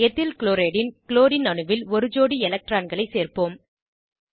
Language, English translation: Tamil, Lets add a pair of electrons on the Chlorine atom of EthylChloride